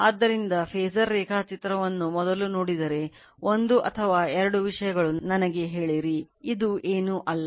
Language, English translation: Kannada, So, if you see the phasor diagram first one or two things let me tell you, this is nothing, this is nothing